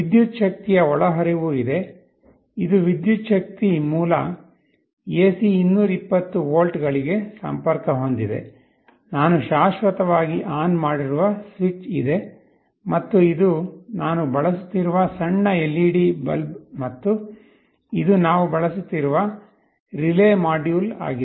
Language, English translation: Kannada, There is an electric power inlet, which is connected to an electric power source AC 220 volts, there is a switch which I am permanently putting as on, and this is a small LED bulb I am using, and this is the relay module that we are using